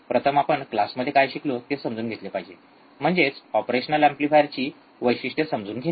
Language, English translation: Marathi, First we should start understanding what we have learned in the theory class; that is, understanding the characteristics of an operational amplifier